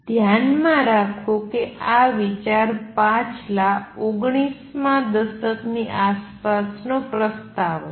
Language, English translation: Gujarati, Keep in mind that the idea was proposed way back in around mid nineteen a tenths